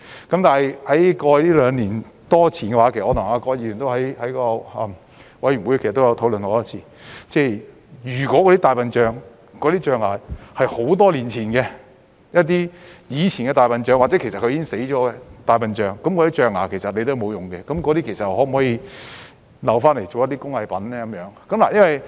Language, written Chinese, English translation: Cantonese, 但是，在過去兩年多，我曾跟葛議員在委員會多次討論，如果象牙是多年前的，來自以前的大象或已死的大象，那些象牙其實沒有用，可否留下用來製作工藝品呢？, Yet in the past two years or so the point of contention between Ms QUAT and I in a Panel was whether the ivory obtained long ago or from dead elephants which would otherwise be useless could be used for crafts